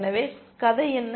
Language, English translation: Tamil, So, what is the story